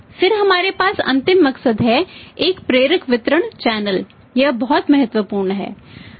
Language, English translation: Hindi, Then we have the last motive that is a motivating distribution channel is a very critical point